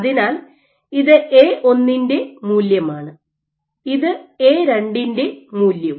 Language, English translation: Malayalam, So, this is for value of A1, this is for value of A2